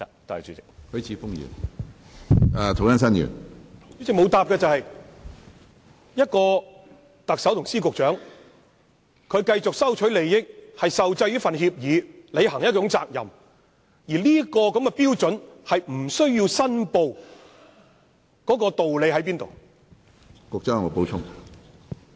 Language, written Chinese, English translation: Cantonese, 主席，局長沒有回答的是，特首及司局長繼續收取利益，並受制於協約而要履行責任，但現時的標準是，他們不需要申報，當中的道理何在？, President the Secretary has not answered the query about the logic behind the standard adopted at this moment in which the Chief Executive Secretaries of Departments and Directors of Bureaux are not required to declare any interests they continuously receive and the responsibilities they have to fulfil under an agreement